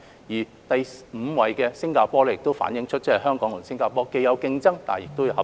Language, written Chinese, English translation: Cantonese, 至於第五位是新加坡，同樣反映香港與新加坡之間既有競爭，亦有合作。, The fact that Singapore ranked fifth also reflects that there are both competition and cooperation between Hong Kong and Singapore